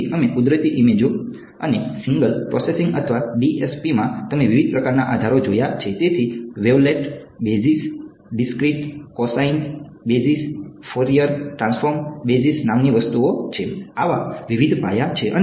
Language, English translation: Gujarati, So, we are going to look at natural images and in signal processing or DSP you have looked at different kinds of basis; so, there are things called wavelet basis, discrete cosine basis, Fourier transform basis, various such bases are there right